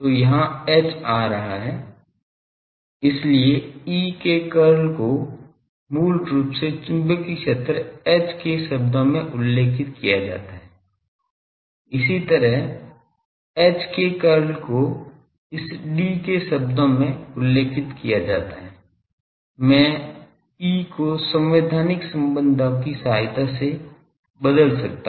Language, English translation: Hindi, So, there will be H coming here, so the curl of E is specified in terms of basically the magnetic field H similarly, the curl of H is specified in terms of this D, I can replace by E with the constitutive relations